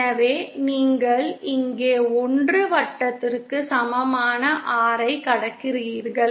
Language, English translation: Tamil, So you are crossing the R equal to 1 circle here